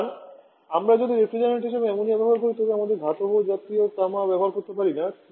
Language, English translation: Bengali, So we cannot if we are using ammonia as a refrigerant we cannot use copper like material